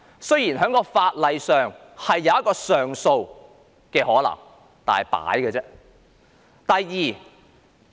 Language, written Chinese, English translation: Cantonese, 雖然在法律上設有上訴機制，但只是形同虛設。, Though there is an appeal mechanism under the law it exists in name only